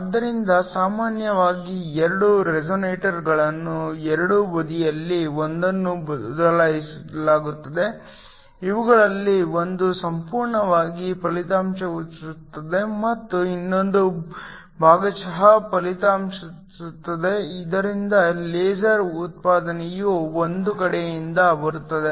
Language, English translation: Kannada, So, usually 2 resonators are used one on either side, one of these is totally reflecting and the other one is partially reflecting so that the laser output comes from 1 side